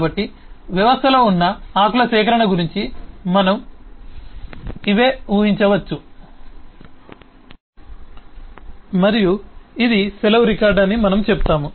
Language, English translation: Telugu, so we can conceive of a collection of leaves that exist in the system and we say this is a leave record